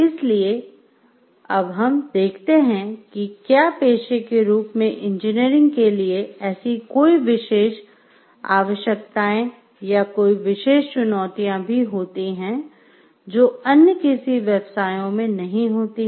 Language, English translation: Hindi, So, that we can understand if there are any special requirements for engineering as a profession, if there are any special challenges of engineering as a profession, which may or may not be a part of other professions